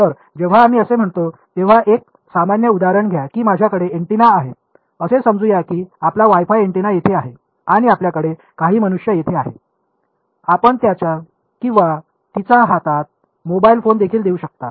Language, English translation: Marathi, So, when we are so, take a general example let us say that I have an antenna let us say that is your WiFi antenna over here and you have some human being over here, you could even have a mobile phone in his hand his or her hand